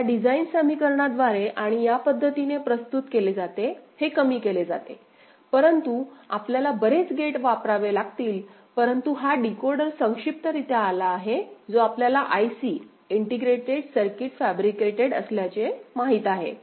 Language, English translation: Marathi, By this design equations and is represented in this manner, this is minimized, this is minimized; but you have to use many gates, but this decoder is comes in a compact you know IC integrated circuit fabricated